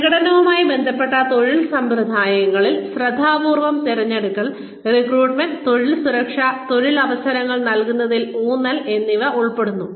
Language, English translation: Malayalam, Performance related work practices include, careful selection, recruitment, job security, emphasis on providing career opportunities